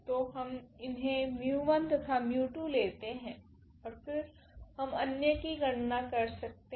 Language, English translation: Hindi, So, we have chosen this mu 1 and mu 2 and then we can compute the others